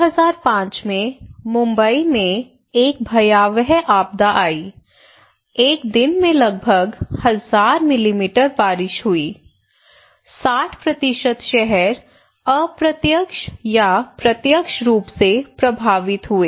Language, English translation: Hindi, In 2005 there was a catastrophic disaster in Mumbai, one day 1000 almost 1000 millimetre of rainfall and it paralyzed the city, 60% of the city were indirectly or directly affected okay